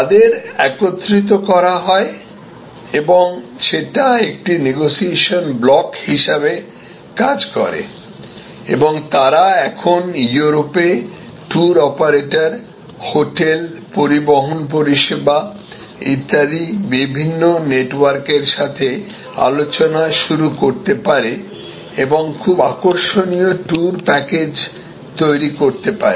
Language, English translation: Bengali, And they are brought together this they become a negotiating block and they can now start negotiating with different networks of tour operators, hotels, transport services and so on in Europe and can create a very attractive tour package